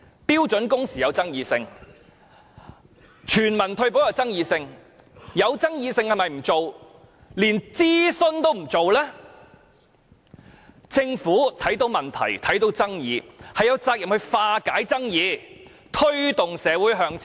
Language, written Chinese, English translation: Cantonese, 標準工時有爭議、全民退保有爭議，如果有爭議的事情就不做，連諮詢也不願做，其實政府當看到問題、看到爭議出現時，是有責任化解爭議，推動社會向前的。, The issue of standard working hours is controversial and so is universal retirement protection . What will happen if the Government refuses to do anything or even conduct any consultation whenever there are controversies? . Actually whenever the Government notices any problems and arguments it is duty - bound to resolve the disputes and take society forward